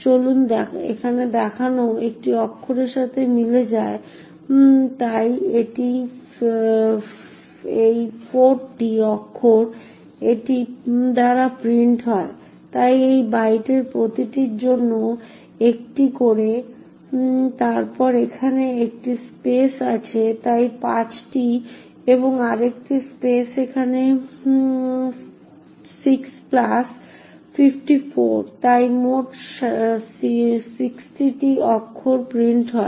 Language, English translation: Bengali, So let us see over here so each of this corresponds to a one character or so it is 4 characters that are printed by this, so one for each of these bytes then there is a space over here so five and another space over here six plus 54 so it is a total of sixty characters that gets printed